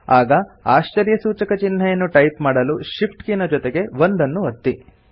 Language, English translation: Kannada, To type the exclamation mark, press the Shift key together with 1